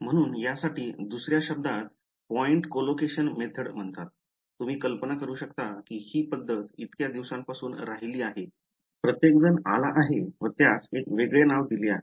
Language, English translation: Marathi, So, another word for this is called point collocation method, you can imagine this method has been around for such a long time everyone has come and given it a different name ok